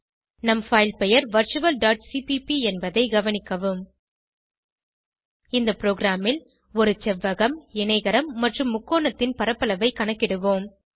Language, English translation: Tamil, Note that our filename is virtual.cpp In this program: We will calculate the area of a rectangle, parallelogram and triangle